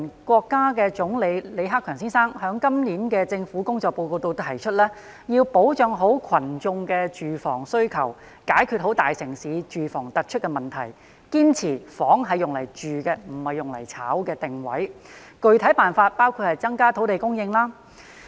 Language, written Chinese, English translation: Cantonese, 國家總理李克強先生在今年的政府工作報告中提出，要保障群眾的住房需求，解決大城市住房突出的問題，堅持"房子是用來住的，不是用來炒的"的定位，具體辦法包括增加土地供應。, In this years Report on the Work of the Government Premier of the State Council Mr LI Keqiang pointed out that the housing needs of the people should be guaranteed and the outstanding housing problem in big cities should be solved by insisting on the positioning that housing is for living in not for speculation and the specific method includes increasing land supply